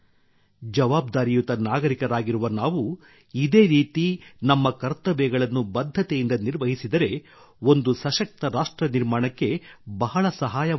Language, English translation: Kannada, If we perform our duties as a responsible citizen, it will prove to be very helpful in building a strong nation